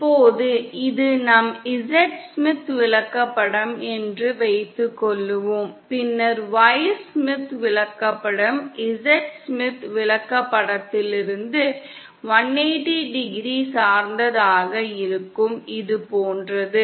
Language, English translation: Tamil, Now suppose this is our Z Smith chart, then the Y Smith chart will be 180¡ oriented from the Z Smith chart and like this